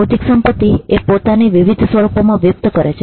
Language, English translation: Gujarati, Intellectual property manifests itself in various forms